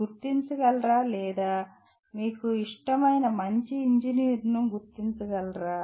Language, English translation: Telugu, Can you identify or you identify your favorite good engineer